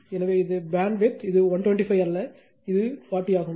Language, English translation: Tamil, So, this is the bandwidth this is not 125, this is 40, because you got this is 40